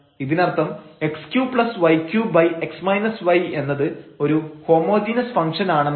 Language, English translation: Malayalam, So, given that z is equal to f x y is a homogeneous function